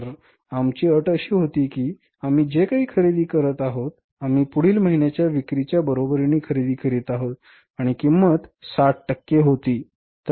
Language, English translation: Marathi, So, for example, our condition was that whatever we are purchasing we are purchasing equal to the next month sales and the cost was 60 percent